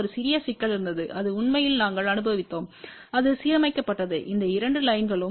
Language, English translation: Tamil, There was a one small problem which we actually experience and that was alining these two lines exactly you know at a separation of 5